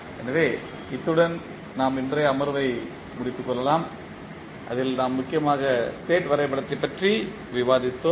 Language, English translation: Tamil, So, with this we can close our today’s session in which we discussed mainly the state diagram